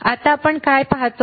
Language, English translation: Marathi, Now, what we see